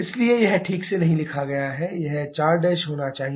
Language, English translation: Hindi, So, this is not written properly this should be 4 prime